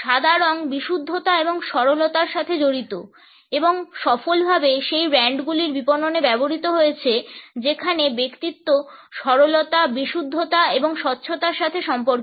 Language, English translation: Bengali, White is associated with purity and innocence and has been successfully used in marketing of those brands where the personality is about simplicity, purity and transparency